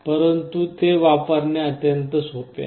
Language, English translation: Marathi, But to use it is extremely simple